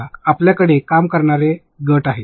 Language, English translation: Marathi, But you have teams working